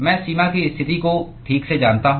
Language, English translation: Hindi, I know the boundary conditions right